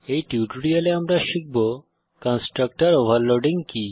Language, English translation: Bengali, So in this tutorial, we have learnt About the constructor overloading